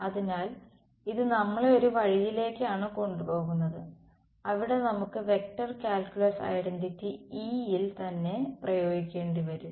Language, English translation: Malayalam, So, this is taking us to one route where possibly we will have to apply the vector calculus identity to E itself